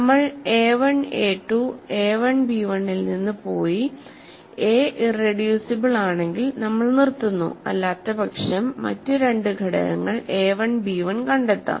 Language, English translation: Malayalam, So, we have gone from a1 a 2 a1 b1 if a is irreducible we stop otherwise we find two other elements a 1 b 1